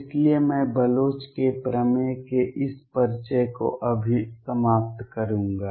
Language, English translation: Hindi, So, I will just conclude this introduction to Bloch’s theorem